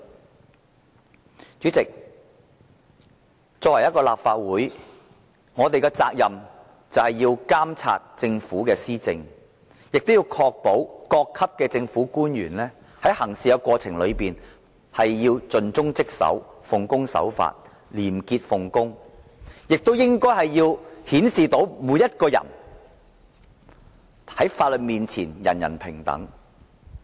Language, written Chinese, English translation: Cantonese, 代理主席，作為立法會議員，我們有責任監察政府施政，確保各級政府官員在行事過程中盡忠職守、奉公守法、廉潔奉公，顯示出法律面前人人平等。, Deputy President we as Legislative Council Members are duty - bound to monitor the Governments governance and ensure that government officials of all ranks act conscientiously dutifully in full accordance with the law honestly and with integrity . We have to show that everyone is equal before the law